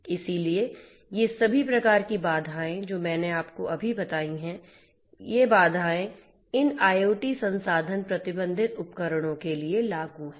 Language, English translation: Hindi, So, all these sorts of constants that I told you just now, so those constraints are applicable for these IoT resource constrained devices